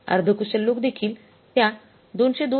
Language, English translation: Marathi, Semi skilled people will also work for the 202